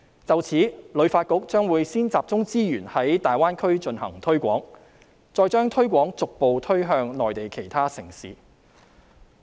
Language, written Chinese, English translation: Cantonese, 就此，旅遊發展局將會先集中資源在大灣區進行推廣，然後將推廣逐步推向內地其他城市。, In this connection the Hong Kong Tourism Board HKTB will first focus its resources on publicity programmes in the Greater Bay Area with gradual extension to other Mainland cities